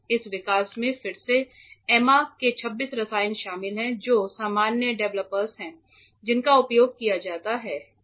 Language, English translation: Hindi, This development again involves chemicals like Emma's 26 a which are usual developers that are used